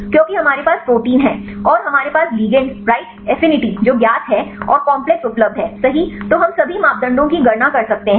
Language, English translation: Hindi, Because we have the protein and we have the ligand right the affinities known and the complex is available right then we can calculate all the parameters